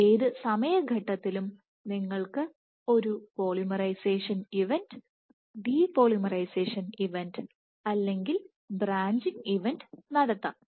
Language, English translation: Malayalam, So, at any time step you can have a polymerization event, depolymerization event or a branching event